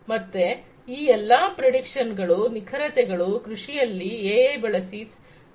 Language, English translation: Kannada, So, all these predictions, precisions, etcetera in agriculture could be achieved with the help of use of AI